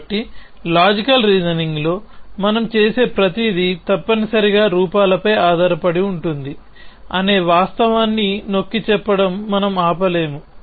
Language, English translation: Telugu, So, we cannot stop emphasizing the fact that everything that we do in logical reasoning is based on forms essentially